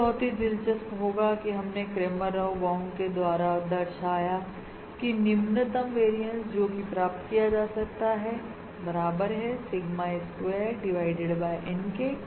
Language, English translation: Hindi, So what is interesting, that is, not only are we demo demonstrated through this Cramer Rao bound approach, that the lowest variance achievable is Sigma square divided by N